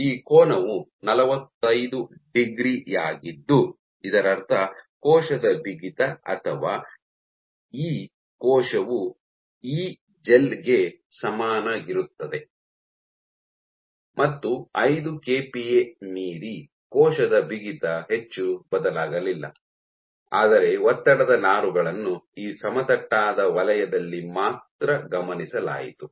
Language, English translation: Kannada, So, this angle was 45 degree which meant that cell stiffness or Ecell is equal to Egel and beyond 5 kPa, the cell stiffness did not change much, but stress fibres were only observed in this flat zone